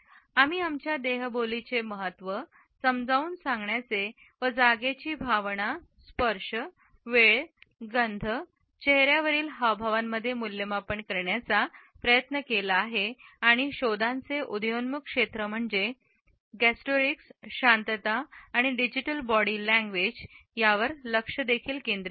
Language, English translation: Marathi, I have also try to explain and evaluate the significance of body language vis a vis our sense of space, touch, time, smell, facial expressions in appearances and also focused on the emerging areas of explorations namely gustorics, silence and digital body language